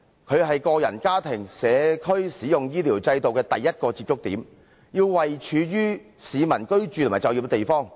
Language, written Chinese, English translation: Cantonese, 它是個人、家庭及社區使用醫療制度的第一個接觸點，要位處於市民居住和就業的地方。, It is the first point of contact in the health care system for individuals families and communities and it has to be located in the residential and working areas of the public